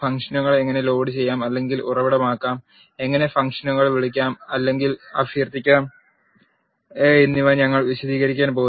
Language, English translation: Malayalam, We are going to explain how to load or source the functions and how to call or invoke the functions